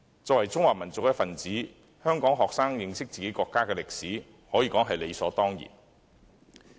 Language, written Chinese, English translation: Cantonese, 作為中華民族一分子，香港學生認識自己國家的歷史，可說是理所當然的。, It is certainly a matter of course for Hong Kong students as members of the Chinese nation to know the history of their own country